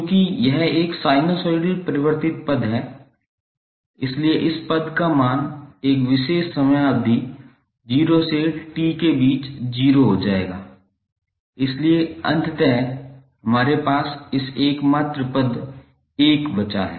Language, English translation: Hindi, Since this is a sinusoidally wearing term, so the value of this term over one particular time period that is between 0 to T will become 0, so eventually what we have left with this only term 1